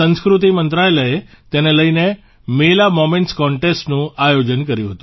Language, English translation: Gujarati, The Ministry of Culture had organized a Mela Moments Contest in connection with the same